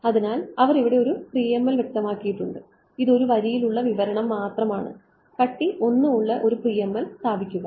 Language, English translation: Malayalam, So, they have specified here PML this is just one line specification set a PML of thickness 1